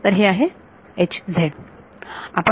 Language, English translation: Marathi, So, we are not